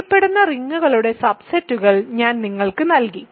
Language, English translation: Malayalam, So, I have given you subsets of well known rings